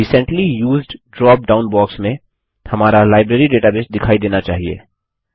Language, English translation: Hindi, In the Recently Used drop down box, our Library database should be visible